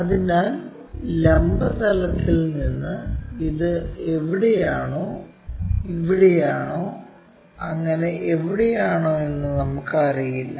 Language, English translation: Malayalam, So, from vertical plane we do not know whether it is here, here, and so on so somewhere here